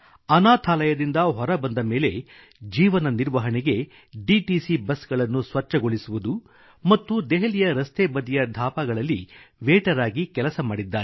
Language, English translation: Kannada, After leaving the orphanage, he eked out a living cleaning DTC buses and working as waiter at roadside eateries